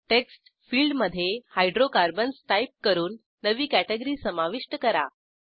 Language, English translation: Marathi, Lets add a new Category, by typing Hydrocarbons in the text field